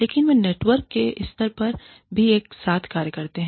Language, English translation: Hindi, But, they also function together, at the level of the network